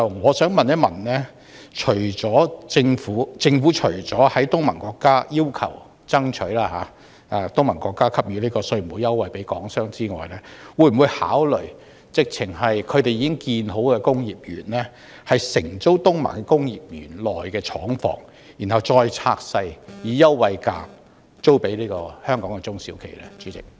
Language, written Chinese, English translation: Cantonese, 我想問政府除要求及爭取東盟國家向港商提供稅務優惠外，會否考慮直接承租東盟國家已建成工業園的廠房，然後再將之分拆並以優惠價出租予香港的中小企使用？, I would like to ask Apart from demanding and urging the ASEAN countries to provide tax concessions to Hong Kong businessmen will the Government consider directly renting factory premises that are ready for use in the industrial parks in the ASEAN countries then dividing them into smaller units for lease to Hong Kongs SMEs at discounted rates?